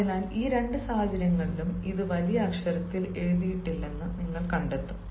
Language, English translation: Malayalam, so in both this situations you will find ah that it is not written with, sorry, it is not written with the capital letter